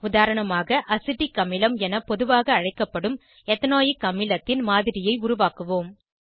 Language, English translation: Tamil, As an example, we will create a model of Ethanoic acid, commonly known as Acetic acid